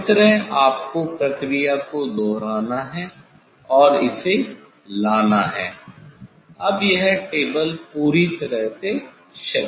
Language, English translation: Hindi, this way you have to repeat the operation and bring this then this table is perfectly horizontal